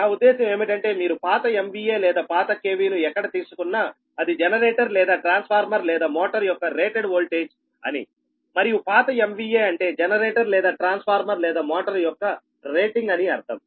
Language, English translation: Telugu, that i want to mean, wherever you will take old m v a or old k v means it is the rated voltage of the ah generator or transformer or motor, right, and a old m v a means it is the rating of the generator, transformer, m v a rating of the generator, transformer or motor